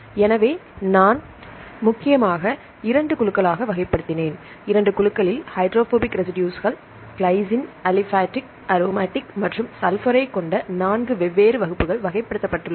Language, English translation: Tamil, So, I mainly classified into two groups and among the two groups, hydrophobic residues are classified into 4 different classes glycine, aliphatic, aromatic and sulphur containing